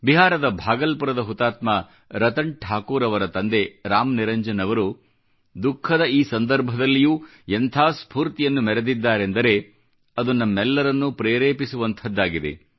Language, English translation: Kannada, The fortitude displayed by Ram Niranjanji, father of Martyr Ratan Thakur of Bhagalpur, Bihar, in this moment of tribulation is truly inspiring